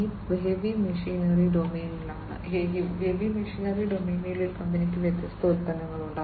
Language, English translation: Malayalam, This is in the heavy machinery domain; this company has different products in the heavy machinery domain